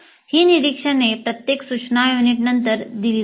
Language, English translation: Marathi, These observations are given after every instructor unit